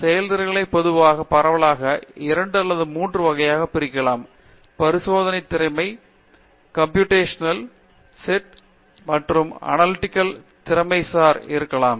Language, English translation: Tamil, So, the skills typically broadly again fit into 2 or 3 categories, Experimental skill sets, Computational skill sets and may be Analytical skill sets